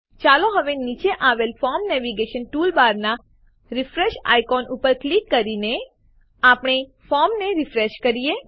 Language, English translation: Gujarati, Let us now refresh the form by clicking on the Refresh icon in the Form Navigation toolbar at the bottom